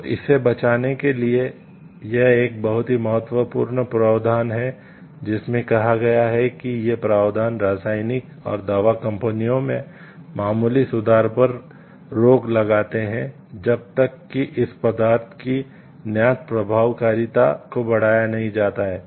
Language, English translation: Hindi, So, to safeguard for that; this is a very important provision which tells these provision prevents patenting of minor improvements in chemical and pharmaceutical entities unless the invention results in the enhancement of known efficacy of that substance